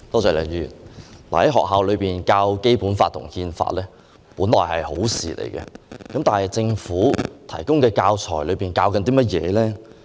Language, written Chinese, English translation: Cantonese, 在學校內教授《基本法》和《憲法》本來是好事，但政府提供的教材是甚麼？, Teaching the Basic Law and the Constitution in schools is supposed to be good but what teaching materials the Government has provided for schools?